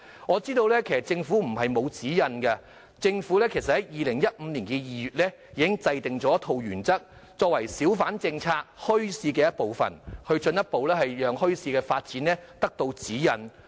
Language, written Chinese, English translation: Cantonese, 我知道政府不是沒有指引，政府在2015年2月已制訂一套原則，作為小販墟市政策進一步發展的指引。, I know that the Government formulated a set of guiding principles in February 2015 for the further development of the hawker and bazaar policy but these guidelines have imposed so much pressure on the organizations